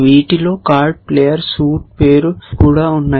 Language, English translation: Telugu, These also has card, player, suit, name